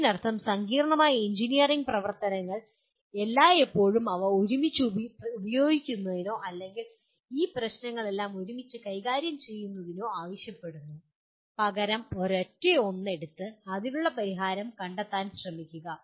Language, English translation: Malayalam, That means complex engineering activities always call for using them together or dealing with all these issues together rather than take one single one and only try to find a solution for that